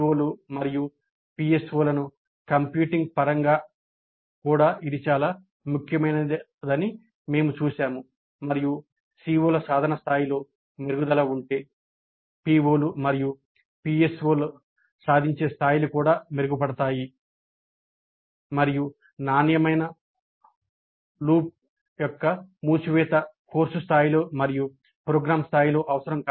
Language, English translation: Telugu, And we have seen that this is also important in terms of computing the POs and PSOs and if there is an improvement in the attainment level of the COs, the attainment levels of the POs and PSOs also will improve and this kind of closer of the quality loop at the course level and at the program level is essential